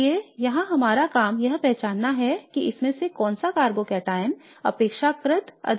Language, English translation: Hindi, So therefore our job here is to identify which carbocataon of these is going to be the more stable one relatively